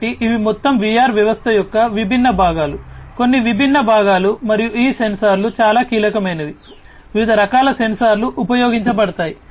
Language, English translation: Telugu, So, these are the overall the different components of a VR system some of the different components, and these sensors are very crucial different types of sensors are used